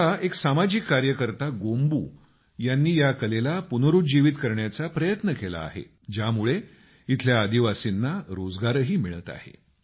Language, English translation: Marathi, Now a local social worker Gombu has made an effort to rejuvenate this art, this is also giving employment to tribal brothers and sisters there